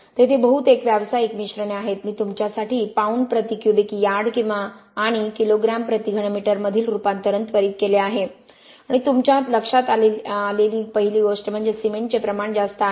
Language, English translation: Marathi, There are mostly commercial mixtures I have put the conversion between pounds per cubic yard and kilo grams per cubic meter for you to quickly make the conversion and the first thing that you notice is very high amount of cement right